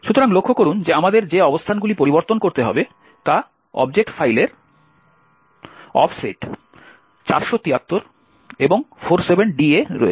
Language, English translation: Bengali, So, notice that the locations which we need to modify is at an offset 473 and 47d in the object file